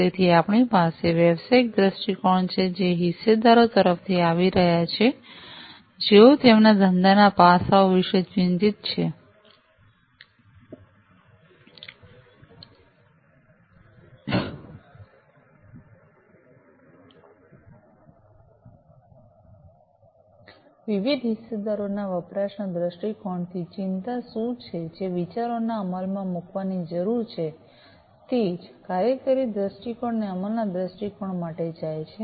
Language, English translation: Gujarati, So, we have the business viewpoint which is coming from the stakeholders, who are concerned about the business aspects of it, usage viewpoint from the usage viewpoint of different stakeholders what are the concerns what are the ideas that will need to be implemented, same goes for the functional viewpoint and the implementation viewpoint